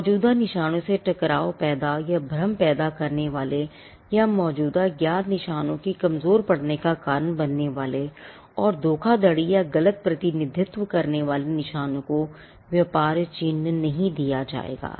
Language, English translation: Hindi, Marks which conflict with existing marks which can cause confusion with existing marks or cause dilution of existing known marks will not be granted protection and marks that make a fraudulent representation or a false representation will not be granted trade mark